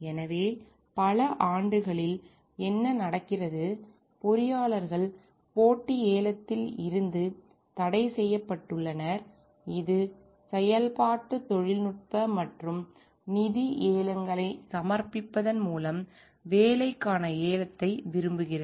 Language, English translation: Tamil, So, in many years what happen like, the engineers where prohibited from competitive bidding, which relates to like bidding for a job by submitting functional technical as well as financial bids